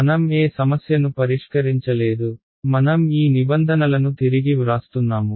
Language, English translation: Telugu, I have not solved any problem I am just re writing these terms